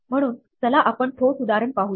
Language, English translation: Marathi, So, let us look at a concrete example